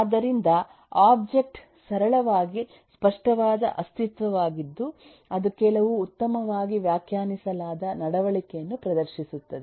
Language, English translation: Kannada, so an object is simply a tangible entity that exhibits some well defined behavior